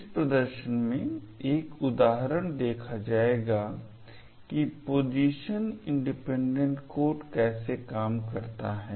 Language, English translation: Hindi, In this demo will be actually looking at an example of how Position Independent Code works